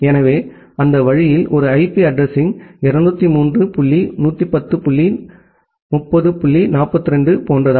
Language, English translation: Tamil, So that way an IP address looks like something like 203 dot 110 dot 30 dot 42